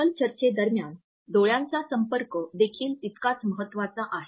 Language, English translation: Marathi, Eye contact is equally important during the panel discussions also